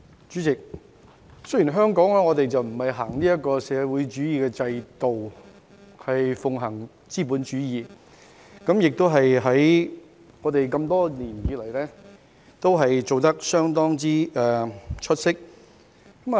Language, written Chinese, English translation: Cantonese, 主席，香港不是實行社會主義制度，而是奉行資本主義，多年來也做得相當出色。, President Hong Kong practices the capitalist system instead of the socialist system and the system has been working very well over the years